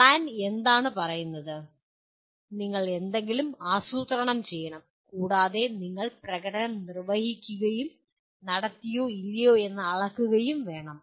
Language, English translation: Malayalam, What it says “plan”, you have to plan for something and actually have to perform and measure whether you have performed or not